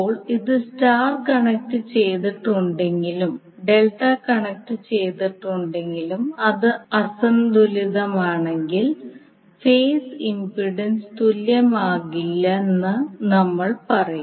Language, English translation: Malayalam, Now whether it is star connected or delta connected will say that if it is unbalanced then the phase impedance will not be equal and the phase sequence will also be out of phase